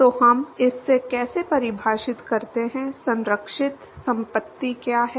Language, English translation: Hindi, So, how do we define this, what is the conserved property